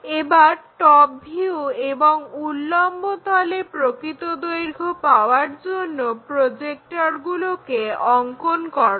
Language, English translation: Bengali, Now, draw the projectors to locate top view and true length on that vertical plane